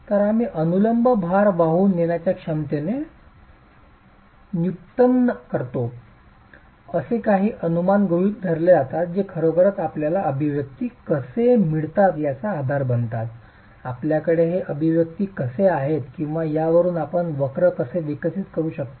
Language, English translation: Marathi, So, we made the derivation of the vertical load carrying capacity with a certain set of assumptions which really become the basis of how you get these expressions, how you have these expressions or the curves that you can develop from these